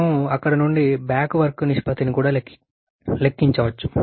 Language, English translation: Telugu, We could also calculate the back work ratio from there